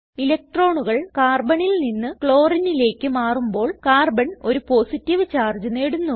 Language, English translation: Malayalam, When electrons shift from Carbon to Chlorine, Carbon gains a positive charge